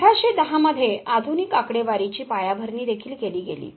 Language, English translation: Marathi, Foundation of modern statistics was also laid in 1810